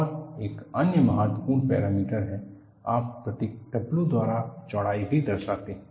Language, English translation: Hindi, And another important parameter is, you represent the width by the symbol W